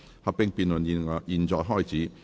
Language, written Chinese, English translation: Cantonese, 合併辯論現在開始。, The joint debate now begins